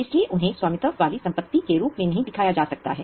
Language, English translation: Hindi, They are not owned by the company, so they cannot be shown as owned assets